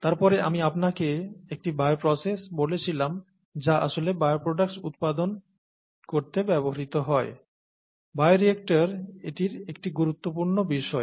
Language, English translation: Bengali, And then I told you a bioprocess which is what is actually used to produce bioproducts, bioreactor is an important aspect of it